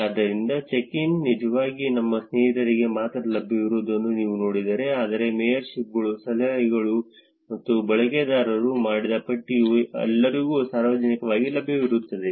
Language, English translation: Kannada, So, if you see check ins are actually available only for your friends, but the list of mayorships, tips and done of users are publicly available to everyone